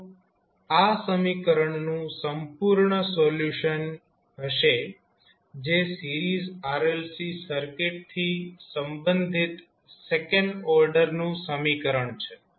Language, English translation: Gujarati, So, this would be the total solution of the equation that is the second order equation related to our series RLC circuit